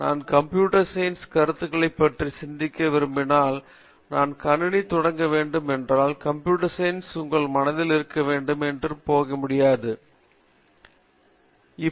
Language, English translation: Tamil, So if I start if I want to think about computer science concepts, the language of computer science should be there in your mind then you can think anything about computing